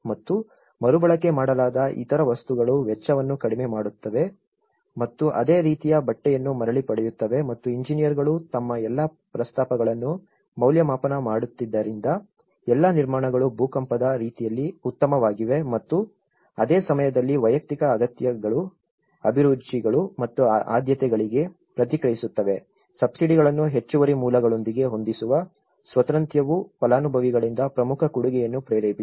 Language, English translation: Kannada, And other materials which have been reused which could reduce the cost and also get back the similar fabric what they had and because the engineers were evaluating all their proposals all the constructions were seismically sound while responding at the same time to individual needs, tastes and priorities, the freedom to match the subsidies with additional sources prompted an important contribution from the beneficiaries